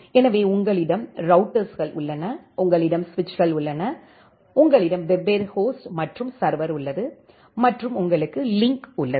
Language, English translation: Tamil, So, you have the routers, you have the switches, you have different host and the server and you have the link